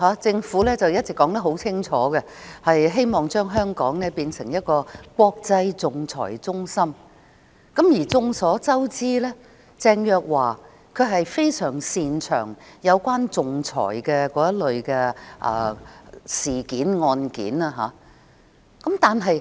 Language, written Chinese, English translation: Cantonese, 政府一直很清楚表示，希望將香港經營為一個國際仲裁中心，而眾所周知，鄭若驊非常擅長處理仲裁案件。, The Government has always made it clear that it hopes to develop Hong Kong into an international arbitration centre and as we all know Teresa CHENG is very good at handling arbitration cases